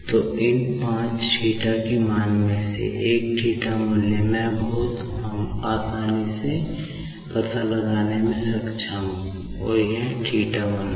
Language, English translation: Hindi, So, out of these five theta values, so one theta value, I am able to find out very easily and that is nothing but θ1